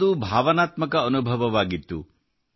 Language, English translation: Kannada, It was an emotional experience